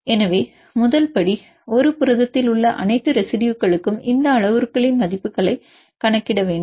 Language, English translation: Tamil, So, step one we need to compute the values of these parameters for all the residues in a protein